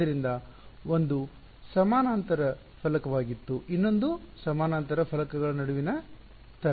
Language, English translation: Kannada, So, one was parallel plate, the other is you know wave between parallel plates ok